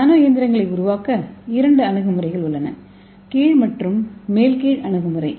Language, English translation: Tamil, So how to make the nano machines what are the approaches so there are again two approaches bottom up and top down approach